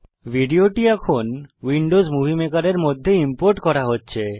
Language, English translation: Bengali, The video is being imported into Windows Movie Maker